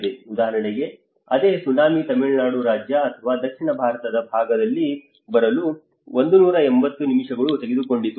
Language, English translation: Kannada, For instance, the same tsunami it took 180 minutes to get into the Tamil Nadu state or in the southern Indian side